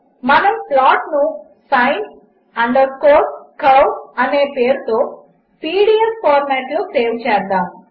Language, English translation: Telugu, We will save the file by the name sin curve in pdf format